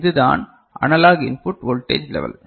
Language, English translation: Tamil, And this is the analog input voltage level